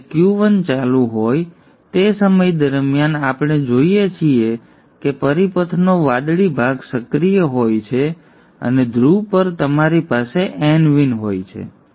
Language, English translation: Gujarati, So during the time when Q1 is on, we see that the blue portion of the circuit is active and at the pole you have n vn